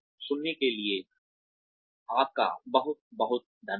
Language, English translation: Hindi, Thank you very much for listening